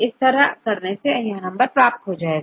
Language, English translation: Hindi, So, we could do this, you will get this number